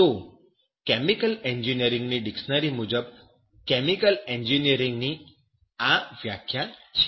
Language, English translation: Gujarati, So, this is the definition of chemical engineering as per the dictionary of chemical engineering